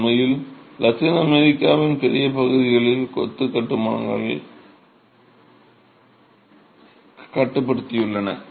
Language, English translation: Tamil, In fact, large areas of Latin America have confined masonry constructions